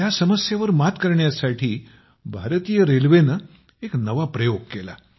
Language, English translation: Marathi, To overcome this problem, Indian Railways did a new experiment